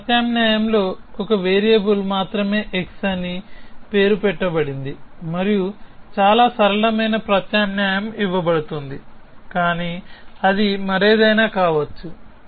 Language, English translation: Telugu, In this substitution only one variable is named which is x and a very simple substitution is given which is, but it could be anything else